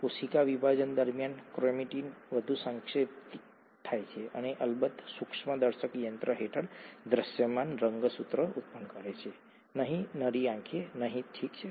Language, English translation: Gujarati, During cell division chromatin condenses further to yield visible chromosomes under of course the microscope, not, not to the naked eye, okay